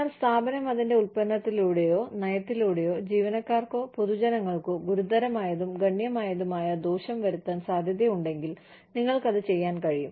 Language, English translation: Malayalam, But, you can do it, if the firm, through its product or policy, is likely to do serious and considerable harm, to employees or to the public